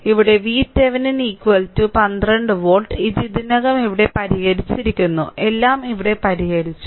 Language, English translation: Malayalam, So, V Thevenin is equal to 12 volt here, it is already solved here everything is solved here